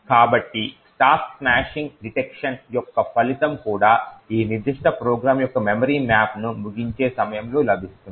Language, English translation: Telugu, So, the result of the stack smashing detection would also, provide the memory map of that particular program at the point of termination